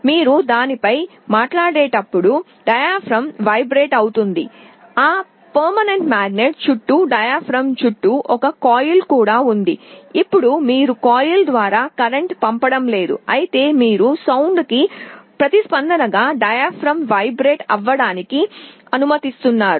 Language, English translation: Telugu, When you speak on it the diaphragm vibrates, there is also a coil around the diaphragm around that permanent magnet, now you are not passing a current through the coil rather you are allowing the diaphragm to vibrate in response to the sound